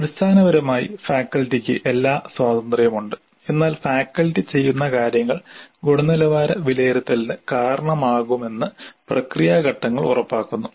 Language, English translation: Malayalam, It is essentially faculty has all the freedom but the process steps ensure that what the faculty does results in quality assessment